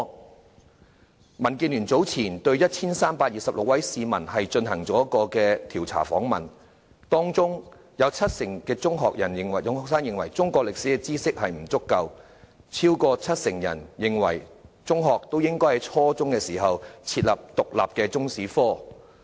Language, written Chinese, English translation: Cantonese, 民主建港協進聯盟早前對 1,326 名市民進行調查，當中七成中學生認為他們對中國歷史知識不足夠，超過七成人認為應該在初中設立獨立的中史科。, The Democratic Alliance for the Betterment and Progress of Hong Kong DAB has recently polled 1 326 people . Among the respondents 70 % of secondary students considered their knowledge of Chinese history insufficient and over 70 % of them considered it necessary to make Chinese History an independent subject at junior secondary level